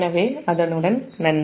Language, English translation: Tamil, so with that, thank you